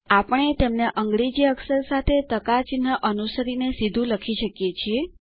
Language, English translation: Gujarati, We can write them directly, by using the percentage sign followed by the name of the character in English